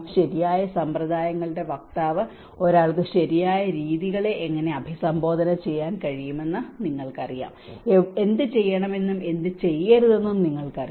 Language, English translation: Malayalam, And advocacy of right practices, you know how one can actually address the right practices, you know what to do and what not to do